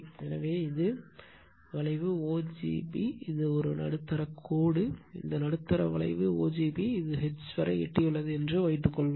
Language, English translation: Tamil, So, this is the curve o g b right, this is the middle line right, this middle your curve right o g b right, suppose it has reach up to H